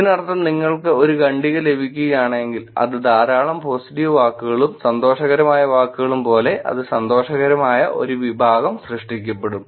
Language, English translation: Malayalam, Which means if you get a paragraph which as a lot of positive words, lot of happy words it will produce a category as happy which will be what we have